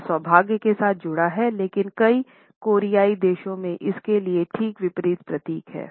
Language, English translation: Hindi, It is associated with good luck, but for many Koreans it symbolizes just the opposite